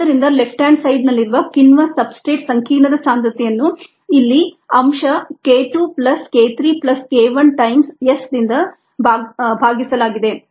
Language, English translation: Kannada, and therefore the concentration of the enzyme substrate complex is the left hand side divided by the ah factor, here k two plus k three plus k one times s